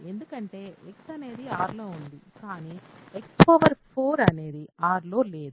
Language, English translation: Telugu, Because X is in R, but X power 4 is not in R right